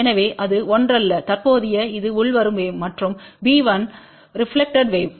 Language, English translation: Tamil, So, it is not same as current it is a incoming wave and b 1 is reflected wave